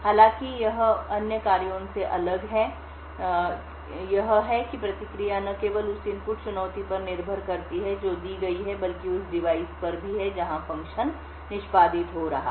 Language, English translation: Hindi, However, the way it is different from other functions is that the response not only depends on the input challenge that is given but also, on the device where the function is executing in